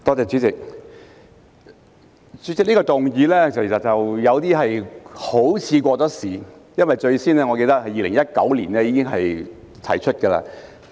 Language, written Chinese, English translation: Cantonese, 這項議案好像有點過時，因為我記得是在2019年提出。, This motion seems to be a bit outdated because I recall that I proposed it in 2019